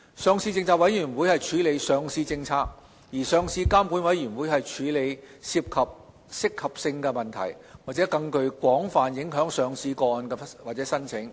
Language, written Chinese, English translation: Cantonese, 上市政策委員會處理上市政策，上市監管委員會則處理涉及合適性問題或具更廣泛影響的上市個案或申請。, LPC will work on listing policy whereas LRC will deal with cases or applications that involve suitability issues or have broader policy implications